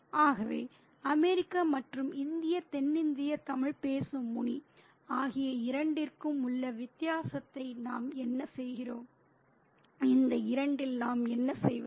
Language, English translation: Tamil, So, what do we make of this clash, the difference between the two, the American and the Indian, the South Indian, the Tamil speaking, Mone, what do we make of these two